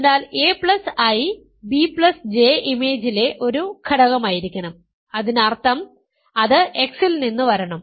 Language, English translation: Malayalam, So, a plus I comma b plus J must be an element in the image; that means, it must come from x, some x